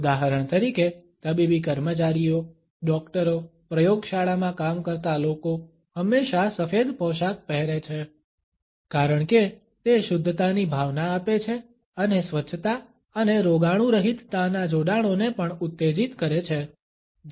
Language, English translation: Gujarati, For example, the medical staff, doctors, lab workers are always dressed in white because it imparts a sense of purity and also evokes associations of sanitation and sterility